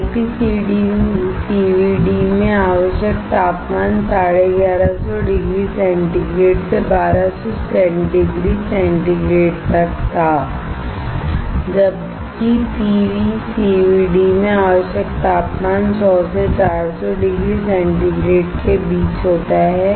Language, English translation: Hindi, The temperature required in LPCVD was 1150 degree centigrade to 1200 degree centigrade, while the temperature required in PECVD ranges between 100 and 400 degree centigrade